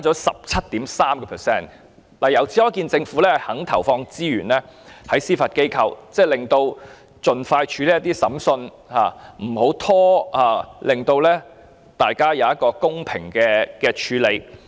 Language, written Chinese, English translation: Cantonese, 由此可見，政府願意投放資源在司法機構，使司法機構可以盡快處理審訊，不會拖延，令案件獲得公平處理。, It is evident that the Government is willing to invest in the Judiciary to enable the Judiciary to process the trials expeditiously without delay and ensure that cases are disposed of justly